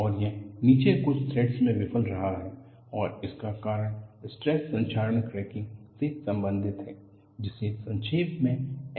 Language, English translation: Hindi, And this has failed a few threads below, and the cause is related to stress corrosion cracking, abbreviated as SCC